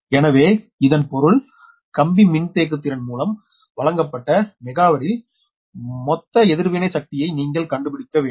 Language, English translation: Tamil, so that means you have to find out the total reactive power in megavar supplied by the line capacitance